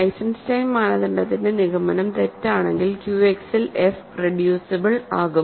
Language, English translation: Malayalam, If the conclusion of the Eisenstein criterion is false, then f is reducible in Q X